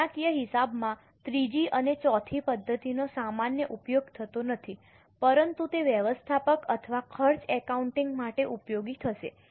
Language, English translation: Gujarati, The third and fourth method are not used normally in financial accounting but they will be useful for managerial or for cost accounting